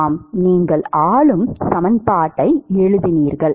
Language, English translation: Tamil, Yeah, you wrote the governing equation